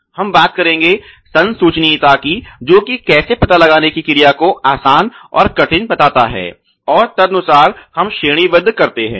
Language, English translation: Hindi, And then we talk about the detectability that is how easy or difficult it is to detect and rank accordingly